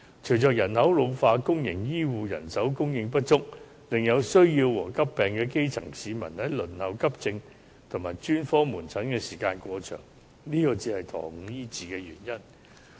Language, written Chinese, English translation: Cantonese, 隨着人口老化，公營醫護人手供應不足，以致有需要和患急病的基層市民輪候急症及專科門診的時間過長，這才是延誤醫治的原因。, With population ageing the supply of public health care manpower is inadequate with the result that grass - roots people in need or with acute illnesses have to wait overly long periods at accident and emergency departments and specialist outpatient clinics . This is rather the reason for the delay in disease treatment